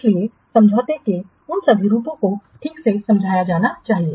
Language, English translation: Hindi, So, all those forms of agreement must be what properly explained